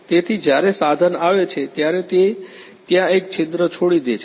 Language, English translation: Gujarati, So, when the tool comes up it leaves a hole over there